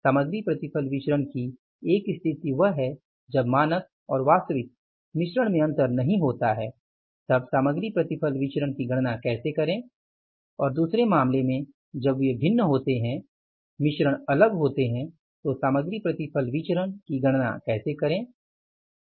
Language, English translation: Hindi, One situation is the material yield variance when the standard mix and the actual mix they do not differ how to calculate the material mix variance and in the second case when they differ, the mixes differ how to calculate the material yield variance